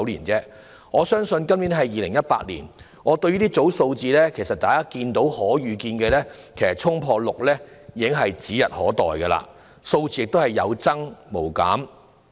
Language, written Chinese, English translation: Cantonese, 今年是2018年，大家可以預見，公屋輪候時間衝破6年是指日可待的，數字只會有增無減。, It is year 2018 now . We can foresee that the PRH waiting time will soon exceed six years in the near future and the number will continue to increase